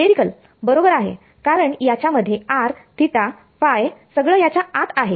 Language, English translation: Marathi, Spherical right because it has r theta phi everything is there inside it